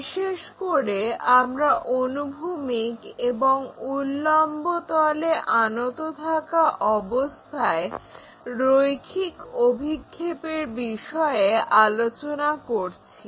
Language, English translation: Bengali, Especially, we are covering line projections when it is inclined to both horizontal plane and vertical plane